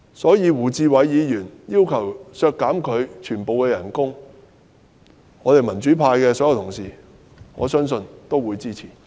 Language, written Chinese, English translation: Cantonese, 對於胡志偉議員提出削減她全年預算薪酬開支的要求，我相信民主派所有議員皆會支持。, I believe Mr WU Chi - wais request for deleting the estimated expenditure for paying her annual salaries will command the support of all Members from the democratic camp